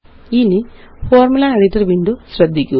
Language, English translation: Malayalam, Now notice the Formula editor window